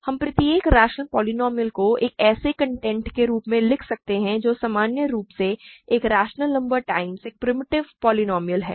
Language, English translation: Hindi, We can write every rational polynomial as a content which is in general a rational number times a primitive polynomial